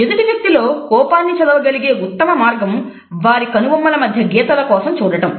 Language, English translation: Telugu, The best way to read anger and someone else is to look for vertical lines between their eyebrows